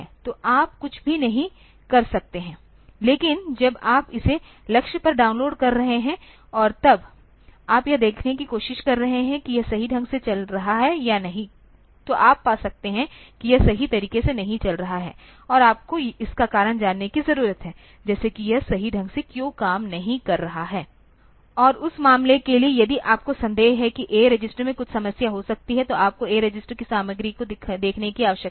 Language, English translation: Hindi, So, you cannot do anything, but when you are downloading it on to the target and then you are trying to see whether it is running correctly or not, you may find that it is not running correctly, and you need to find out the reason, like why is it not working correctly, and for that matter, if you suspect that the A register might be having some problem, you need to see the content of A register